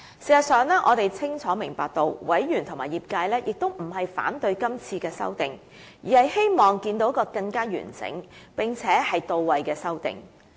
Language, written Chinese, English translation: Cantonese, 事實上，我們清楚明白到委員和業界也並非反對是次修訂，而是希望看見更完整，並且到位的修訂。, In fact we understand clearly that Members and the industry do not oppose the amendments on this occasion only that they wish to see more complete and pertinent amendments